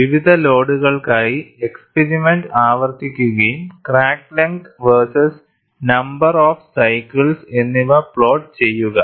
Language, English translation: Malayalam, The experiment is repeated for various loads and a plot of crack length versus number of cycles is obtained